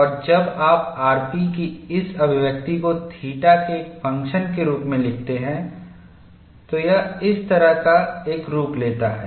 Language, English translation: Hindi, And when you write this expression of r p as a function of theta it takes a form like this, and when you go to Tresca, the expression is different